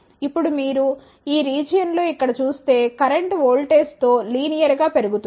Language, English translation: Telugu, Now, if you see here in this region the current increases linearly with voltage